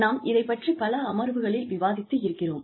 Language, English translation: Tamil, We have been discussing this, in various sessions